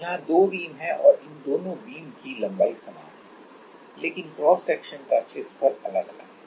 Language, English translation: Hindi, There are two beams and these two beams the length of the beam is same, but the area of cross section is different